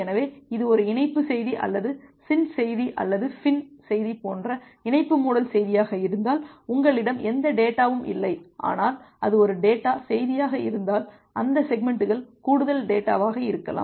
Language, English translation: Tamil, So, if it is a connection message or connection closure message like the SYN message or the FIN message, you do not have any data, but if it is a data message you may have additional data which is along with that segment